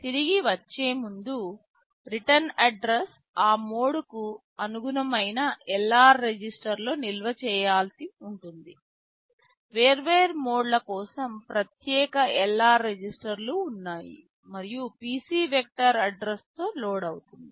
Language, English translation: Telugu, Then before coming back the return address will have to store in LR register corresponding to that mode, there are separate LR registers for the different modes and PC is loaded with the vector address